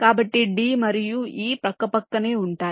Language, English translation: Telugu, so d and e will be side by side